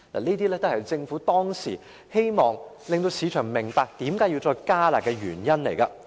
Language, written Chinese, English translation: Cantonese, 這些都是政府當時希望市場明白需要再度"加辣"的原因。, The Government wanted the market to understand that enhanced curb measures had to be introduced again for these reasons